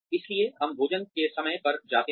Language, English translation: Hindi, So, we go at meal times